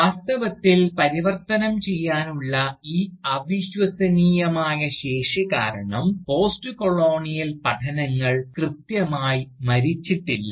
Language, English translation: Malayalam, In fact, Postcolonial studies has not died precisely, because of this incredible capacity to mutate, that it has shown so far